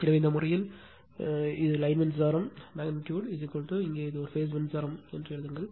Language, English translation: Tamil, So, in this case, so it is line current magnitude is equal to your write as a phase current here